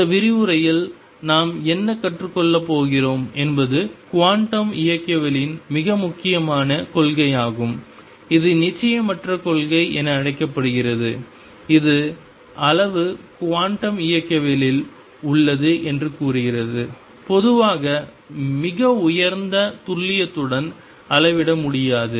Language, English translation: Tamil, What we are going to learn in this lecture through all this is a very important principle of quantum mechanics known as the uncertainty principle which states that quantity is in quantum mechanics cannot be measured in general with very high precision